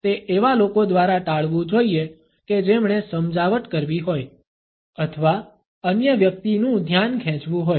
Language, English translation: Gujarati, It should be avoided by those people who have to be persuasive or win the attention of the other person